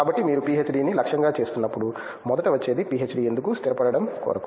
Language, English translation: Telugu, So, when you aim for PhD the first thing that comes up is why PhD, settle down